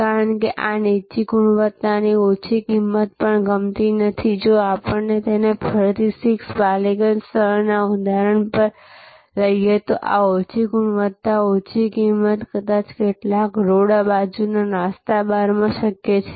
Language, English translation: Gujarati, Because, these low quality low price also is not like if we take that again back to that example of 6 Ballygunge place, this low quality, low price maybe possible in some road side snack bars and so on